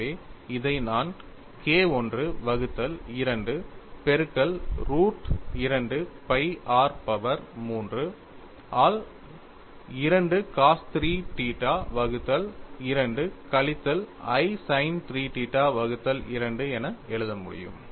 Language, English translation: Tamil, So, I could, so, write this as K 1 by 2 into root of 2 pi r power 3 by 2 cos 3 theta by 2 minus i sin 3 theta by 2;